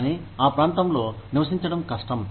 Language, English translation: Telugu, But, it is very difficult to live in that region